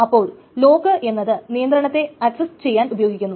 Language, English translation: Malayalam, So, locks are what that access the control